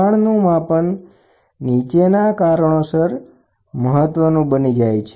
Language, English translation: Gujarati, Measurement of pressure becomes important aspect due to the following reasons